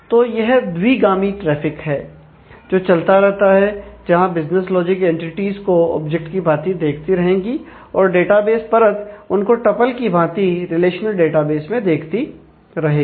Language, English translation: Hindi, So, it is a two way traffic that will keep on happening where, the business logic layer will continue to see entities as objects whereas, the database layer will continue to see them, as tuple in the relational database